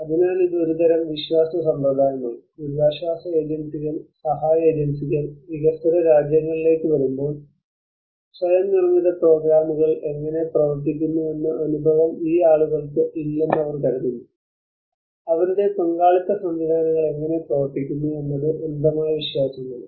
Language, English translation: Malayalam, So this is a kind of belief system that when the relief agencies, aid agencies come to the developing countries, they think that these people does not have an experience how the self built programs work how their participatory mechanisms work that is the blind belief